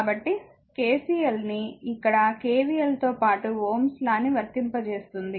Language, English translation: Telugu, So, KCL here KVL will apply ohms' law along with KVL